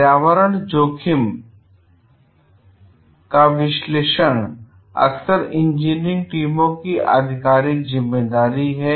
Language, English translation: Hindi, Analysis of environment risk is often the official responsibility of engineering teams